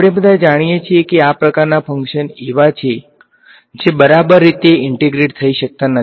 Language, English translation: Gujarati, We all know that there are these kinds of functions are there which cannot be integrated exactly right